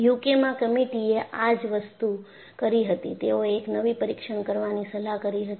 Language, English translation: Gujarati, In fact, this is what the committee in UK read this and they suggested a new test to be done